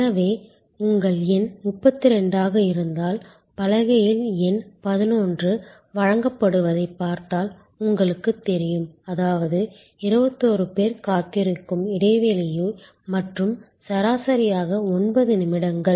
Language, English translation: Tamil, So, if your number is 32 and you see that on the board number 11 is getting served, so you know; that is gap of 21 more people waiting and into average 9 minutes